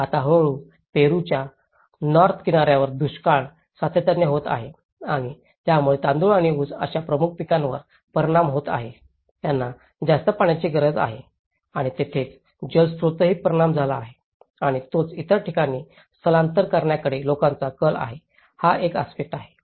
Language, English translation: Marathi, Now, one is gradually, the drought in North coast of Peru have been consistently occurring and that has caused the affecting the predominant crops like rice and sugar canes which needs more water and also there is, also impact on the water resources and that is where that is one aspect people tend to migrate to other places